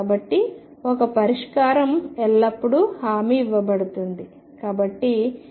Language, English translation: Telugu, So, one solution is always guaranteed